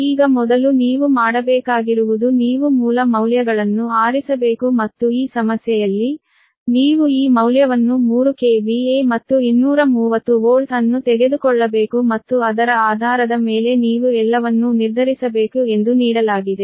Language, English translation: Kannada, first, what you have to do is you have to choose base base values right, and in this problem, in this problem that is, given that you have to take this value, three k v a and two thirty volt, and based on that you have to determine everything right